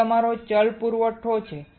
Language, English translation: Gujarati, This is your variable supply